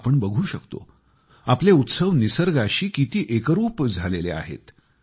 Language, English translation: Marathi, We can witness how closely our festivals are interlinked with nature